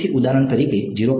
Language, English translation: Gujarati, So, for example, this is 0